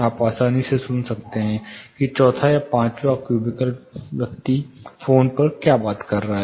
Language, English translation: Hindi, You are easily able to hear what the fourth or fifth cubical the person is talking on phone